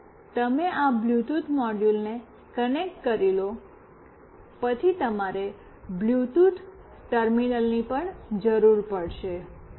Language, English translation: Gujarati, Once you have this Bluetooth module connected, you also need a Bluetooth terminal